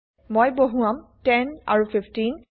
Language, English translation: Assamese, I will enter 10 and 15